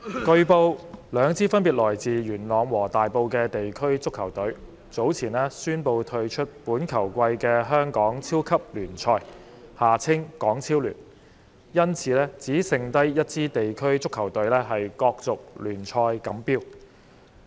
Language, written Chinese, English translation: Cantonese, 代理主席，據報，兩支分別來自元朗和大埔的地區足球隊，早前宣布退出本球季的香港超級聯賽，因此只剩下一支地區足球隊角逐聯賽錦標。, Deputy President it has been reported that two district football teams respectively from Yuen Long and Tai Po announced earlier their withdrawal from the current football season of the Hong Kong Premier League HKPL thus leaving only one district football team competing for the HKPL champion